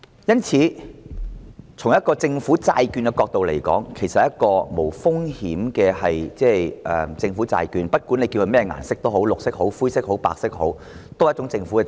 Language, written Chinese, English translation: Cantonese, 因此，從政府債券的角度而言，這其實是一種無風險的政府債券，不管叫它甚麼顏色也好，無論是綠色、灰色或白色也好，也是一種政府債券。, Insofar as government bonds are concerned this is actually a risk - free government bond regardless of the colour . Be it green grey or white it is a government bond